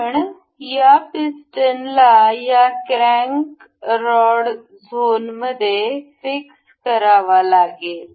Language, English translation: Marathi, Because this piston has the crank rod has to be fixed in this zone